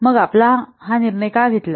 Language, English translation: Marathi, So, why you have taken this decision